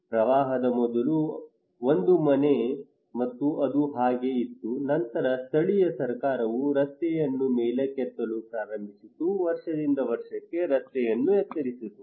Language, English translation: Kannada, Another one is that before the flood, it was a house and it was like that, then the local government started to elevate the road okay simply elevated the road year after year